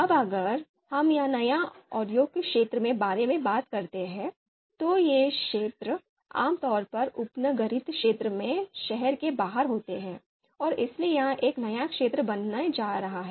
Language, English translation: Hindi, New industrial area, so these industrial areas are typically outside the city in the suburban area of the city, so it is going to be a new area